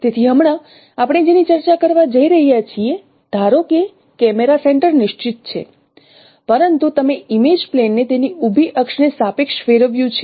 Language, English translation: Gujarati, So right now what we are going to discuss suppose the camera center is fixed but you have rotated the image plane about its vertical axis